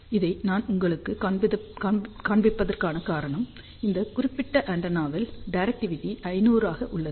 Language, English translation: Tamil, The reason why I am showing you this, this particular antenna has a directivity of 500 which is about 27 dBi